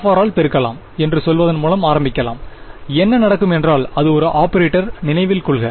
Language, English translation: Tamil, Let us start by saying let us multiply by f of r what will happen is its an operator remember